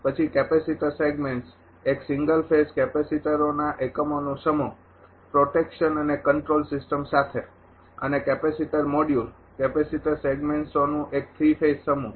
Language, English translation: Gujarati, Then capacitor segments are single phase group of capacitor units with protection and control system and capacitor module a three phase group of capacitor segments